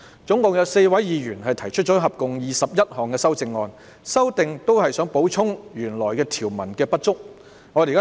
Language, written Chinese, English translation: Cantonese, 總共有4位議員提出合共21項修正案，目的是就原條文的不足之處作出補充。, Four Members have proposed a total of 21 amendments with the purpose of making up for the inadequacies of the original provisions